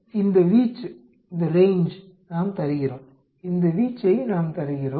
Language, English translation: Tamil, So, we give this range, we give this range